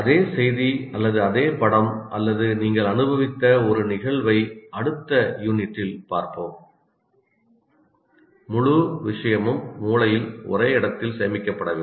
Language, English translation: Tamil, The same message or a same picture or whatever an event that you have experienced, the entire thing is not stored in one place in the brain